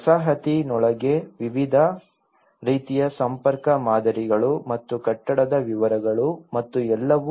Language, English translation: Kannada, Various types of connectivity patterns within the settlement and that the building details and everything